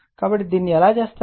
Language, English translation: Telugu, So, how you will do it